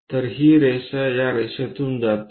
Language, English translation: Marathi, So, this line what we see coming from this line